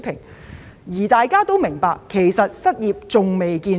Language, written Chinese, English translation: Cantonese, 其實，大家都明白失業問題仍未見頂。, In fact we all understand that the unemployment problem has not yet peaked